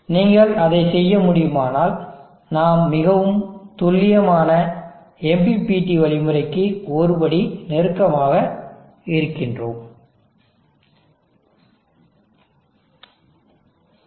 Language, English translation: Tamil, If you are able to do that, then we are one step closer to much more accurate MPPT algorithm